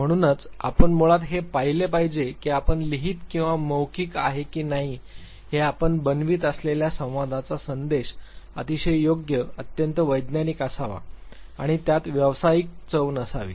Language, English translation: Marathi, So, you should basically look at the fact that the communication that you are making whether it is a written or oral, should be very very appropriate, very very scientific and it should have that professional flavor